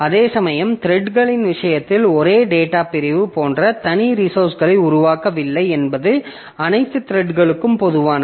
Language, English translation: Tamil, Whereas in case of threads, I don't create separate, separate resources, like the same data segment is common to all the threads